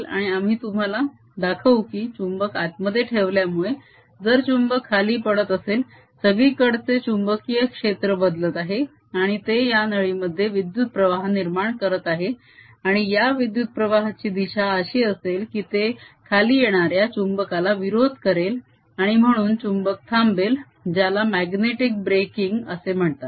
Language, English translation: Marathi, if the magnet is falling down, the magnetic field everywhere is changing and that produces a current in this tube, and the direction of current should be such that it opposes the coming down of the magnet and therefore magnet slows down, what is known as magnetic braking